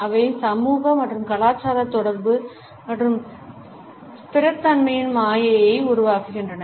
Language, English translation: Tamil, They create an illusion of social and cultural affiliation and stability